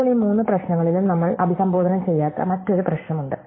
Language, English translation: Malayalam, Now, in all these three problems there is another issue which we have not addressed